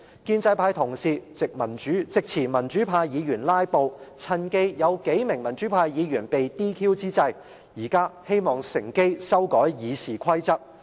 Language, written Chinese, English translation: Cantonese, 建制派同事藉詞民主派議員"拉布"，趁有數名民主派議員被 DQ 之際，乘機修改《議事規則》。, Colleagues from the pro - establishment camp on the pretext of pro - democracy Members filibustering have exploited the gap where several pro - democracy Members had been disqualified DQ to amend RoP